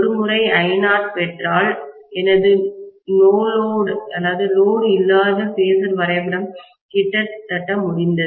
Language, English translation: Tamil, Once I get I naught, my no load phasor diagram is done almost